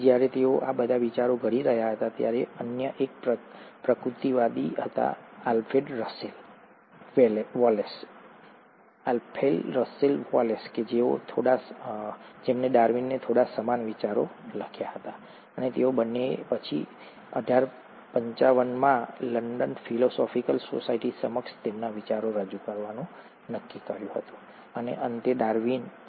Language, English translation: Gujarati, So while he was formulating all these ideas, there was another naturalist, Alfred Russell Wallace, who wrote to Darwin bit similar ideas and the two of them then decided to present their ideas to the London Philosophical Society in eighteen fifty nine, and eventually Darwin published his most famous work, which is called as ‘The origin of species by means of natural selection’